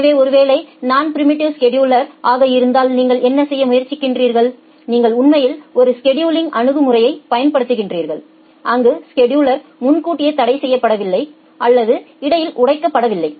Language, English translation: Tamil, So, in case of non preemptive scheduling what you are trying to do, you are actually applying a scheduling strategy where the scheduler is not preempted or not broken in between